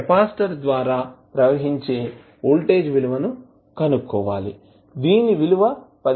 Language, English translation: Telugu, Find out the voltage across capacitor that comes out to be 15 volts